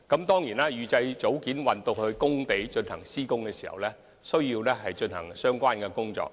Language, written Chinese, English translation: Cantonese, 當然，預製組件運到工地後，還需要進行其他工序。, Of course upon the delivery of precast units to the construction sites other work processes are still required